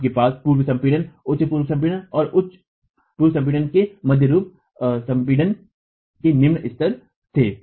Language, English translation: Hindi, We had low pre compression, intermediate pre compression and high pre compression levels